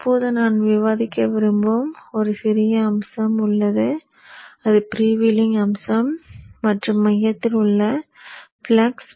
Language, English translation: Tamil, Now there is one small aspect which I want to discuss that is the freewheeling aspect and the flux within the core